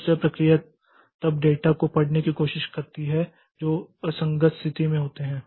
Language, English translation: Hindi, Second process then tries to read the data which are in an inconsistent state